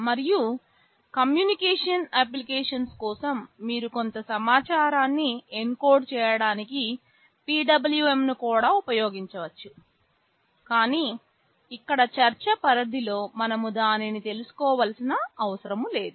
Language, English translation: Telugu, And for communication applications you can also use PWM to encode some information, but for the scope of discussion here we do not need to know that